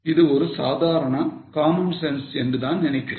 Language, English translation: Tamil, I think it's just a common sense